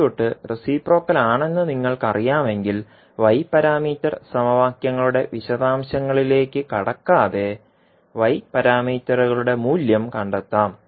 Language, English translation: Malayalam, So in this way if you know that the circuit is reciprocal without going into the details of y parameter equations and then finding out the value of y parameters